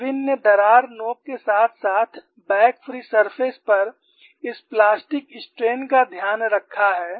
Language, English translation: Hindi, Irwin has taken care of this plastic strain at the crack tip as well as the back free surface